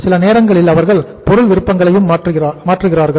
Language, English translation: Tamil, Sometime they change the product options